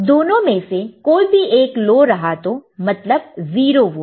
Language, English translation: Hindi, So, when you present both of them as 0 volt